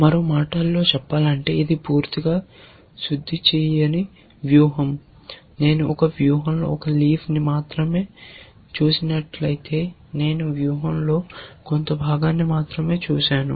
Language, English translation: Telugu, In other words, it is a strategy which is not completely refined, if I have seen only one leaf in a strategy, I have seen only part of the strategy